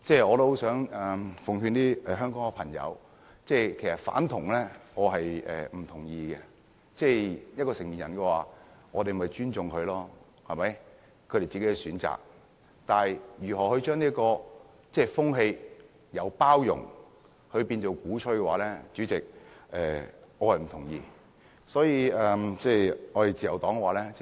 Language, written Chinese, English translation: Cantonese, 我很想告訴香港的朋友，我不認同"反同"，我們應該尊重成年人自己的選擇，但將這種風氣由包容變為鼓吹，主席，我是不同意的。, I would like to tell the people of Hong Kong that I disapprove of opposition to homosexuality for we should respect the choices made by adults themselves . Nonetheless Chairman I disagree with changing the atmosphere from inclusion to propaganda